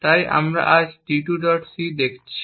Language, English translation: Bengali, So, we are looking at t2